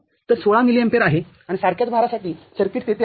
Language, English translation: Marathi, So, this is the 16 milliampere and for the load side similar circuit that is there